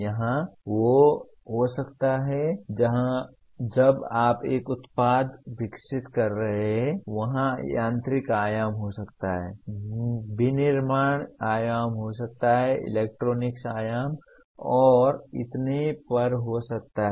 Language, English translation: Hindi, There could be when you are developing a product there could be mechanical dimension, there could be manufacturing dimension, there could be electronics dimension and so on